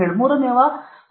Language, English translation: Kannada, 7, say third is 0